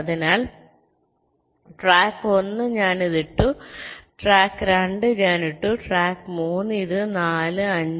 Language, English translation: Malayalam, ok, so track one: i put this, track two, i put this